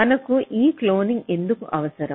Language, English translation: Telugu, so why we may need this cloning